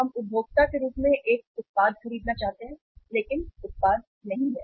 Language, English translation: Hindi, We want to buy a product as a consumer but the product is not there